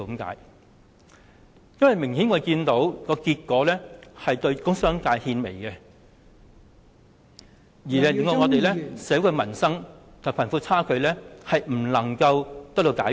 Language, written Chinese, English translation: Cantonese, 我們明顯看到，今次預算案的結果是對工商界獻媚，致令社會的民生、貧富差距問題得不到解決。, We can see clearly that the effect of this Budget is to curry favour with the business and industrial sectors and thus the livelihood issues in society and the problem of disparity between the rich and poor remain unresolved